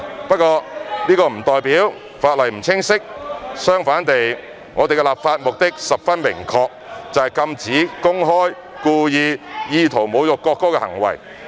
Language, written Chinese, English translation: Cantonese, 不過，這不代表法例不清晰，相反地，我們的立法目的十分明確，就是禁止公開、故意、意圖侮辱國歌的行為。, Nevertheless this does not imply that the legislation is unclear . On the contrary our legislative intent is very clear ie . to prohibit public and intentional behaviours with an intent to insult the national anthem